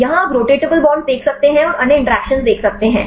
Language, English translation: Hindi, Here you can see the rotatable bonds and you can see the other interactions